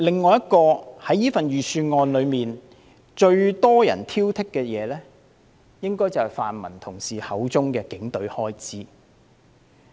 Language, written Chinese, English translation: Cantonese, 最多人挑剔預算案的另一點，應該是泛民同事口中的警隊開支問題。, Another item most criticized in the Budget according to colleagues from the pan - democratic camp is probably the expenditure of the Police